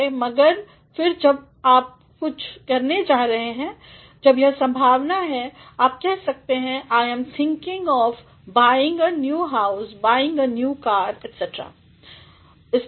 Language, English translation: Hindi, But, then when you are going to do something when there is a possibility; you can say ‘I am thinking of buying a new house, buying a new car’ like that